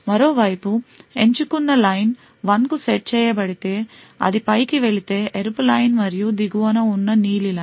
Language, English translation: Telugu, On the other hand, if the select line is set to 1 then it is the red line which goes on top and the blue line which is at the bottom